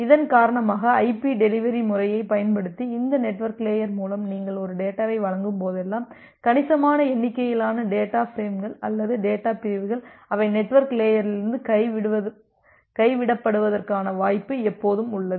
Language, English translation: Tamil, And because of that whenever you are delivering a data through this network layer using the IP delivery method, there is always a possibility that a considerable number of data frames or data segments, they are getting dropped from the from the network layer